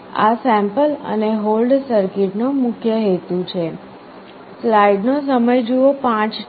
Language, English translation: Gujarati, This is the main purpose of sample and hold circuit